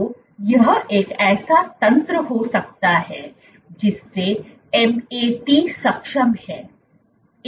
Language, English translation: Hindi, So, could this be a mechanism whereby MAT is enabled